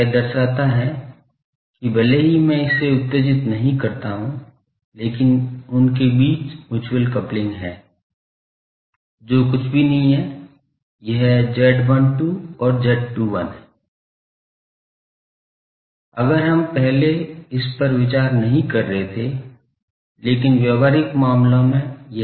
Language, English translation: Hindi, It shows that, even if I do not excide this, but mutual coupling between them, which is nothing, but this z 12 and z 21, if we were not earlier considering this, but in practical cases this is there